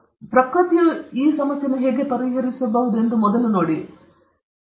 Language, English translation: Kannada, Can we look at how nature might have solved this